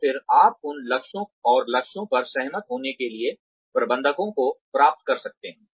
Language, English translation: Hindi, And then, you get the managers to agree, on those goals and targets